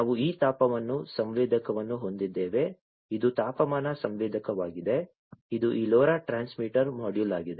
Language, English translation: Kannada, We have this temperature sensor this one this is the temperature sensor this is this LoRa transmitter module